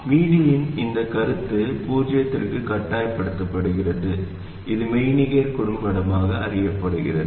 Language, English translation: Tamil, And this concept of VD being forced to 0, this is known as the virtual short